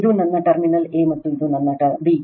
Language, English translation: Kannada, This is my terminal A and this is my B